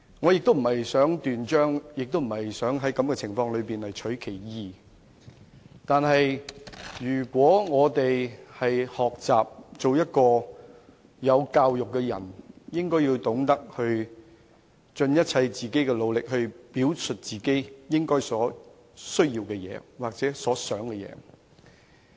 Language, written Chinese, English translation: Cantonese, 我不想在此斷章取義，但想學習做一個有教養的人，便應該懂得盡一切努力，表述自己的需要或所想的事情。, I do not want to garble a statement out of its context but if one wishes to learn proper manners they should know that they have to exert their greatest effort to tell others their needs and aspirations